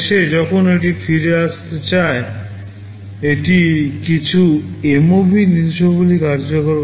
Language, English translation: Bengali, At the end when it wants to return back, it executes some MOV instruction